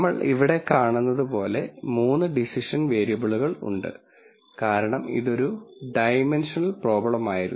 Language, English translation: Malayalam, And as we see here there are 3 decision variables, because this was a 2 dimensional problem